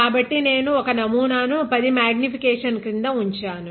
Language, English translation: Telugu, So, I have kept the sample here under 10 x magnification ok